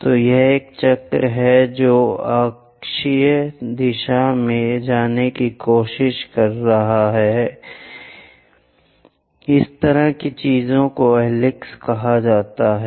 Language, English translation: Hindi, So, basically it is a circle which is trying to move in the axial direction; such kind of things are called helix